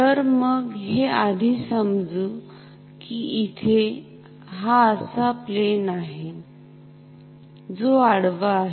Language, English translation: Marathi, So, let us first assume that there is a plane like this which is horizontal